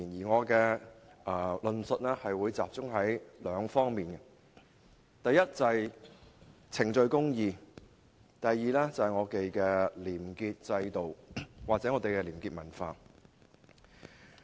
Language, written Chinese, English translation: Cantonese, 我的論述會集中在兩方面，第一是程序公義，第二是廉潔制度或廉潔文化。, I will focus on two aspects First procedural justice; and second the clean system or the probity culture